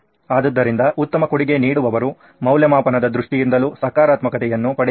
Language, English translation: Kannada, So the best contributor can get positive in terms of assessment also